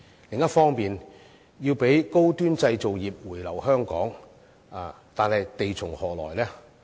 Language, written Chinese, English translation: Cantonese, 另一方面，我們必須讓高端製造業回流香港，但地從何來呢？, On the other hand we must encourage the high - end industries to return to Hong Kong . But where does the land come from?